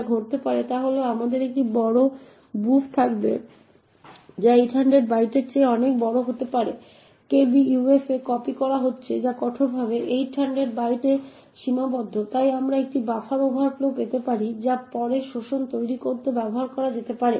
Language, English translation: Bengali, What could happen is that we would have a large buf which could be a much larger than 800 bytes getting copied into kbuf which is strictly restricted to 800 bytes thus we could get a buffer overflow which could be then used to create exploits